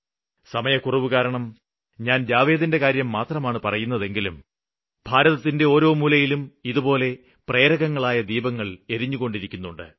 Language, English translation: Malayalam, I am mentioning just the case of Jawed because of lack of time but such lights of inspiration are prevalent in every corner of the country